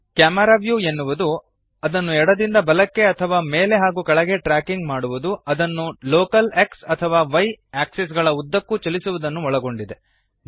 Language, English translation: Kannada, Tracking the camera view left to right or up and down involves moving it along the local X or Y axes